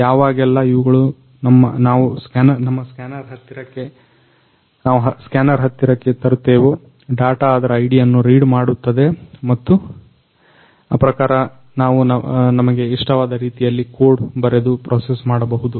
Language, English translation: Kannada, So, this scanner whenever we will place these in the close proximity of this scanner, the data their unique IDs will be read and accordingly we can process it by writing the code in whichever way we want